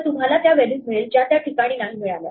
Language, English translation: Marathi, So, you just get the values you do not get that positions